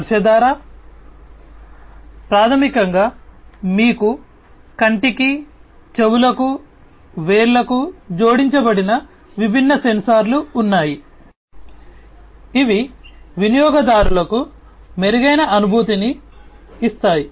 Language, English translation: Telugu, By touch, through touch, basically, you know, you have different sensors which are added to the eye, to the ears, to the fingers, which can give the user an improved feeling